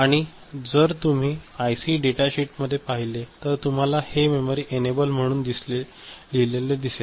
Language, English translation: Marathi, So, in the IC data sheet if you see, you can see that it is written as memory enable ok